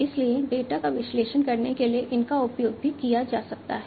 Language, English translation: Hindi, So, those are those could also be used to analyze the data